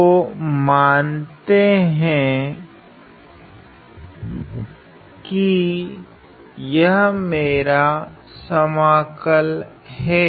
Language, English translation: Hindi, So, my let us say this is my integral I